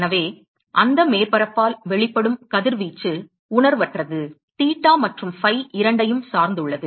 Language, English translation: Tamil, So, the radiation that is emitted by that surface insensible dependent on both theta and phi